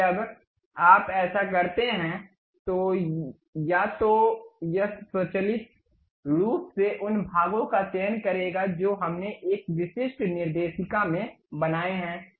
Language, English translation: Hindi, Now, when you do that either it will automatically select the parts whatever we have constructed in a specific directory